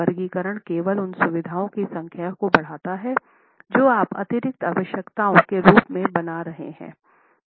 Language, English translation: Hindi, The categorization only increases the number of features that you are building in as additional requirements